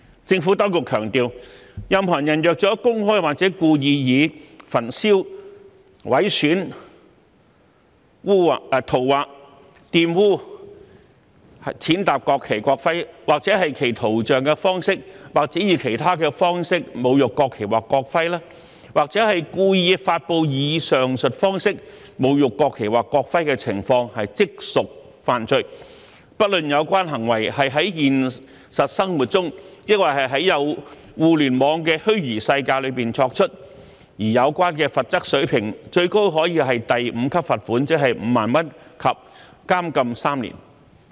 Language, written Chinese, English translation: Cantonese, 政府當局強調，任何人若公開及故意以焚燒、毀損、塗劃、玷污、踐踏國旗、國徽或其圖像的方式或以其他方式侮辱國旗或國徽，或故意發布以上述方式侮辱國旗或國徽的情況，即屬犯罪，不論有關行為是在現實生活中，抑或在互聯網的虛擬世界中作出，而有關的罰則水平最高可為第5級罰款及監禁3年。, The Administration has emphasized that any person who publicly and intentionally desecrates the national flag or national emblem by burning mutilating scrawling on defiling or trampling on it or its image or in any other way or to intentionally publish such a desecration would commit an offence regardless of whether the behaviour is committed in the real life or the virtual world . The level of penalty can be up to a fine at level 5 ie . 50,000 and to imprisonment for three years